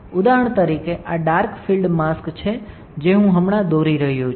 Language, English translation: Gujarati, For example, this is my dark field mask one that I am drawing right now